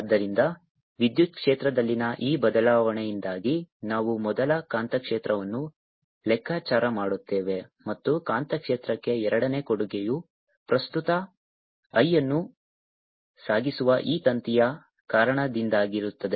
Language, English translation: Kannada, so we will first calculate the magnetic field due to this change in electric field and the second contribution to the magnetic field will be due to this wire which is carrying current i